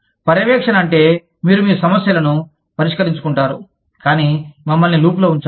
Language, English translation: Telugu, Monitoring means, you deal with your problems, but just keep us in the loop